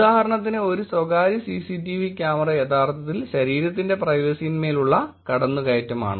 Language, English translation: Malayalam, For example, a CCTV camera is one example where bodily privacy can be actually attacked